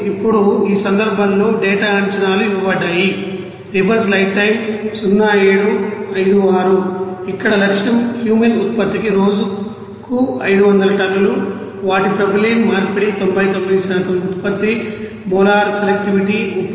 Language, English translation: Telugu, Here target is 500 tons per day of Cumene production, their conversion of propylene is 99%, product molar selectivity is 31 : 1